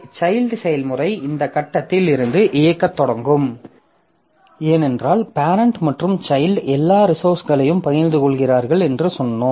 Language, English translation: Tamil, So, child process will also start executing from this point onwards because as we said that the parent and child they share all the resources